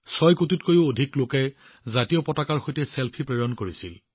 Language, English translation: Assamese, More than 6 crore people even sent selfies with the tricolor